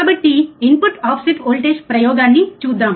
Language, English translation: Telugu, So, let us see input offset voltage experiment